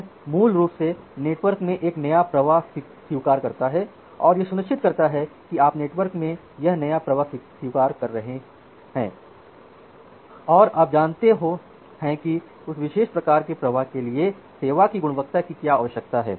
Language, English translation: Hindi, It basically admit a new flow in the network by ensuring that even if you are admitting this new flow in the network and if you know that what is the quality of service requirement for that particular kind of flow